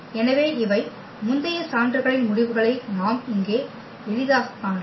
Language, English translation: Tamil, So, these are the consequence of the earlier proof which we can easily see here